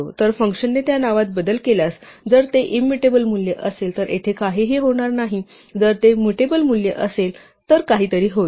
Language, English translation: Marathi, So, if the function modifies that name, the value of that name; if it is immutable value, nothing will happen here, if it is a mutable value something will happen